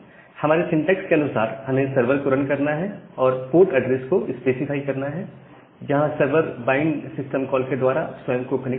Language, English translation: Hindi, So, according to our syntax we that is we have to run the server and specify a port address where the server will connect itself the bind through the bind system call